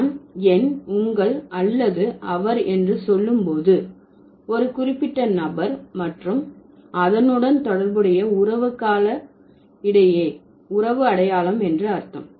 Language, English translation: Tamil, When I say my, your or his, so that means I'm identifying the relation between a particular person and the kinship term associated with it